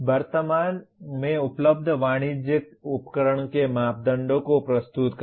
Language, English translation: Hindi, Present the parameters of presently available commercial device